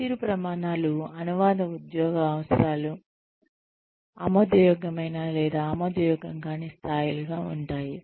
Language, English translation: Telugu, The performance standards are translational job requirements into levels of acceptable or unacceptable